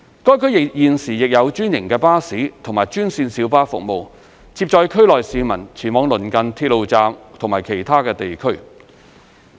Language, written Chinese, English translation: Cantonese, 該區現時亦有專營巴士和專線小巴服務，接載區內市民前往鄰近鐵路站及其他地區。, Franchised bus and green minibus services are currently provided in the area taking people to nearby railway stations and other districts